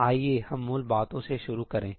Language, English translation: Hindi, Let us start with the basics